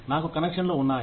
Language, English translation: Telugu, I have connections